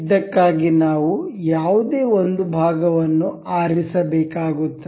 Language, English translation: Kannada, For this we have to select one any one of the part